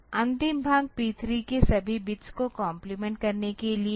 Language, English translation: Hindi, The last part is to complement the bits of this P 3 A P all bits of P 3